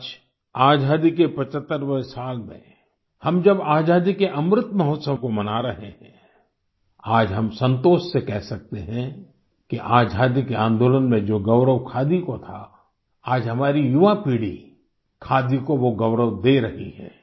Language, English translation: Hindi, Today in the 75 th year of freedom when we are celebrating the Amrit Mahotsav of Independence, we can say with satisfaction today that our young generation today is giving khadi the place of pride that khadi had during freedom struggle